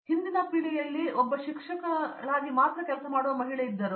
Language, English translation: Kannada, In the earlier generation there was only lady who is working as a teacher